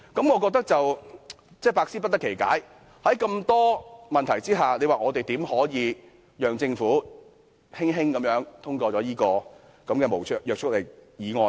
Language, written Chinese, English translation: Cantonese, 我百思不得其解，在眾多問題下，我們怎能夠讓政府輕輕通過這項無約束力議案呢？, It does not even dare to respond to that point . I cannot figure out why . Given that we have so many queries how could we let this non - binding motion of the Government pass so easily?